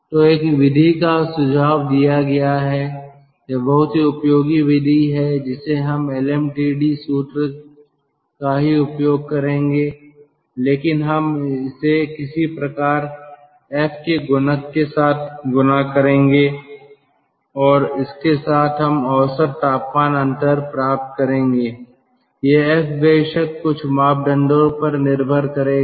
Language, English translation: Hindi, it is very, which is very useful method, that we will use the lmtd formula only, but we will multiply it with some sort of a factor, f, and with that we will get the mean temperature difference